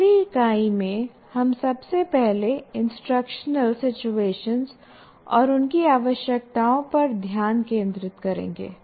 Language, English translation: Hindi, And in the next unit, we first focus on instructional situations and their requirements